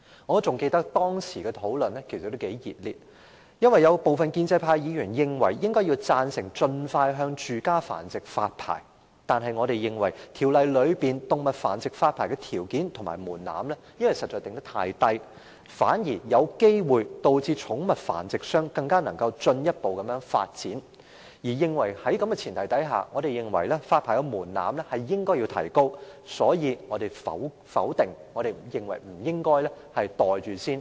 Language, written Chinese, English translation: Cantonese, 我記得當時的辯論相當熱烈，因為有部分建制派議員贊成盡快就住家繁殖發牌，但我們認為該法案中有關向動物繁育者發牌的條件和門檻實在訂得太低，反而可能讓寵物繁殖商有機會進一步發展；在這前提下，我們認為發牌門檻應予提高，所以我們反對該法案，認為不應把它"袋住先"。, I recall that the debates were very heated back then because some pro - establishment Members were in favour of issuing licences to home - breeders expeditiously whereas we took the view that the conditions and threshold for issuing licences to animal breeders were set too low in the bill and might contrarily give pet breeders a chance to develop further . In view of this we opined that the licensing threshold should be raised . That was why we opposed the bill and reckoned that we should not pocket it first